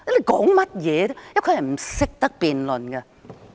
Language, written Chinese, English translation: Cantonese, 局長是不懂得辯論的。, The Secretary knows nothing about how to debate